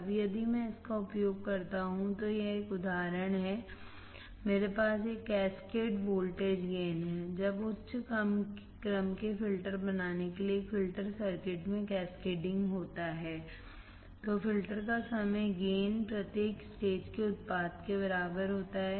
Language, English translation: Hindi, Now, if I use this is an example, I have a cascaded voltage gain, when cascading to a filter circuits to form high order filters, the overall gain of the filter is equal to product of each stage